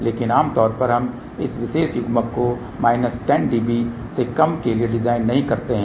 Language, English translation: Hindi, But generally we don't assign this particular coupler for less than minus 10 db